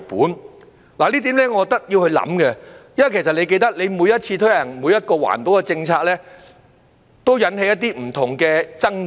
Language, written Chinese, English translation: Cantonese, 我認為這點是需要考慮的，因為你也記得，每次推行一項環保政策時，都會引起一些不同的爭議。, I think this point should be considered . As the Secretary may recall whenever an environmental policy was introduced it would give rise to various controversies